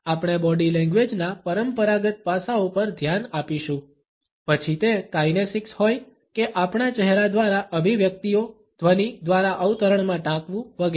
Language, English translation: Gujarati, We will look at the conventional aspects of body language be it the kinesics or our expressions through our face, the voice quotes etcetera